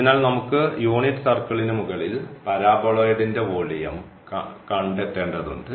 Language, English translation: Malayalam, So, above this unit circle, we want to get the volume of this paraboloid